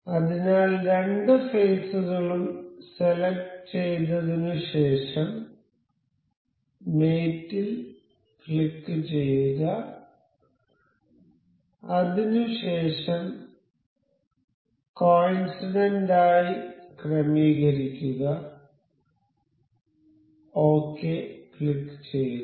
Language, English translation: Malayalam, So, we will select these two faces we will click on mate and we will align this as coincident click ok